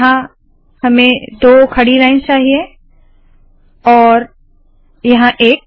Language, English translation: Hindi, Here I want two vertical lines, here I want 1 vertical line